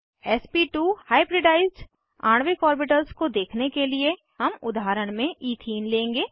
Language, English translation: Hindi, To display sp2 hybridized molecular orbitals, we will take ethene as an example